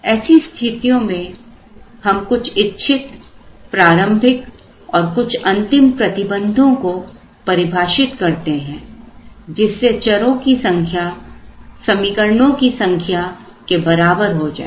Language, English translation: Hindi, In such cases, we define some initial conditions as well as some final conditions that we want, so we make the number of variables equal to the number of equations